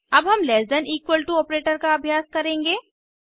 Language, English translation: Hindi, Let us now try less than operator